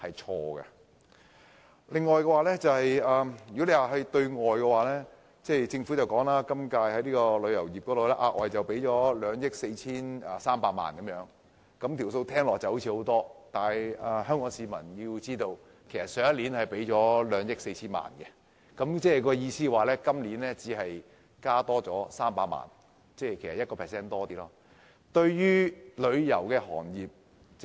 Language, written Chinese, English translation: Cantonese, 此外，在對外方面，政府今年就旅遊業額外撥款2億 4,300 萬元，這數目聽起來似乎很大，但香港市民必須知道，去年的撥款是2億 4,000 萬元，即是說今年的撥款只增加300萬元而已，僅稍多於 1%。, Furthermore on the external front the Government has increased the provision for the tourism industry to 243 million . While this sounds a huge sum of money Hong Kong people must be aware that the provision of last year was 240 million . In other words this years provision has only increased by 3 million which is slightly more than 1 %